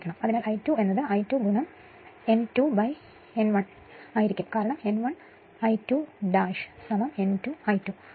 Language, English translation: Malayalam, So, I 2 dash will be I 2 into N 2 upon N 1 because N 1 I 2 dash is equal to N 2 I 2